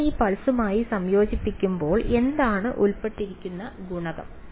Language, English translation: Malayalam, When I integrate over this pulse what is the coefficient involved